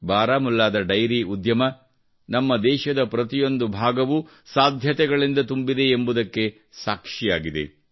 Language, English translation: Kannada, The dairy industry of Baramulla is a testimony to the fact that every part of our country is full of possibilities